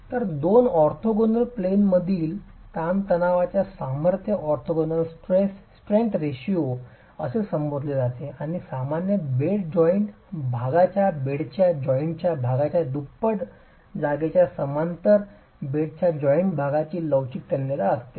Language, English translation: Marathi, So, the strength in tension in two orthogonal planes is referred to as the orthogonal strength ratio and typically you would have the flexible tensile strength of the bed joint parallel to the bed joint twice as much as that of the strength normal to the bed joint